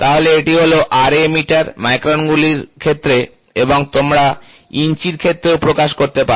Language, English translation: Bengali, So, this is Ra in terms of meters, microns and you can also express in terms of inches